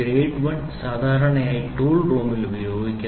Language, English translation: Malayalam, Grade 1 is generally used in the tool room